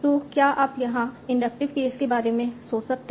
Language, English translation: Hindi, So can you think of the inductive case here